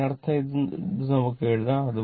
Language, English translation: Malayalam, That means, this one you can write